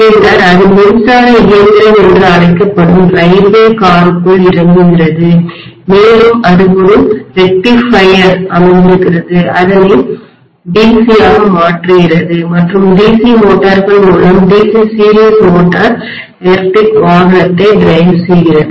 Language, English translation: Tamil, Then it is stepped down within the railway car which is known as the electric engine and that there is a rectifier sitting which would be converting that into DC and with the DC motors, DC series motor drive the electric vehicle